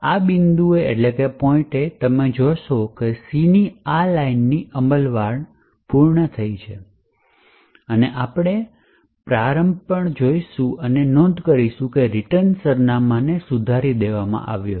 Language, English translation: Gujarati, So, at this point you see that this line of C has completed executing and we would also look at the start and note that the return address has been modified